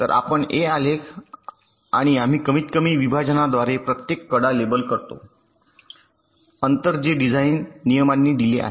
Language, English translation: Marathi, so we construct a graph and we label each of the edges by the minimum separation, ok, minimum allowable distance, which is given by the design rules